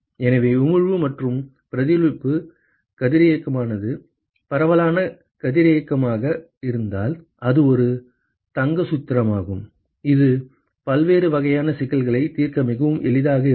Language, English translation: Tamil, So, if the emission plus reflection the radiosity is the diffuse radiosity, then this is a golden formula that will be very very handy to solve different kinds of problems